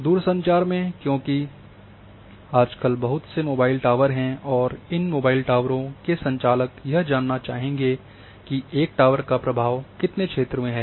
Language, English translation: Hindi, In telecommunication because nowadays lot of mobile towers are coming and the operators of these mobile towers would like to know that how much area one single tower will cover